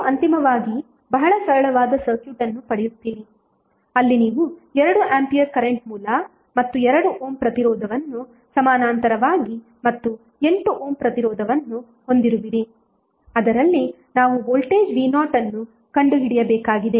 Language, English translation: Kannada, So when transform you get finally very simple circuit where you have 2 ampere current source and 2 ohm resistance in parallel and 8 ohm resistance across which we have to find out the voltage V Naught so, just simply use current division we will get current across 8 ohm resistance as 0